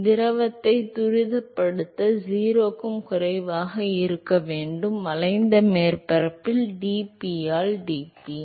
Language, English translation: Tamil, So, dp by dx along the curved surface that has to be less than 0 in order for the fluid to accelerate